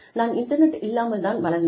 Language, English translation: Tamil, I grew up, without the internet